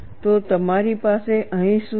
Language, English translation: Gujarati, So, what you have here